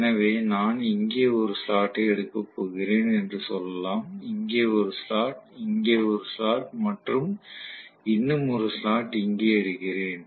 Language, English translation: Tamil, So let us say I am going to take one slot here, one more slot here, one more slot here and one more slot here